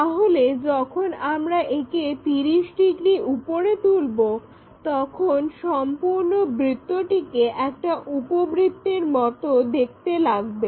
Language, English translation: Bengali, So, when we ah lift this by 30 degrees, the complete circle looks like an ellipse, it looks like an ellipse here